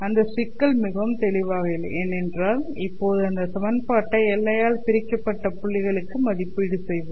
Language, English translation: Tamil, Now that problem is not very obvious at all because now let us try and evaluate this equation to the points which are separated by the boundary